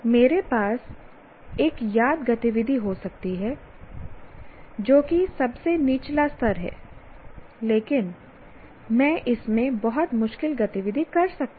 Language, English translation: Hindi, For example, I can have a remember activity which is the lowest, but I can have, let's say, very difficult activity in that